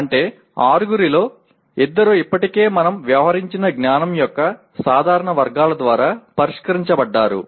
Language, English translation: Telugu, That means two of the six are already addressed by general categories of knowledge that we have already dealt with